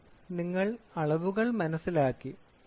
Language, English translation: Malayalam, So, you have understood measurements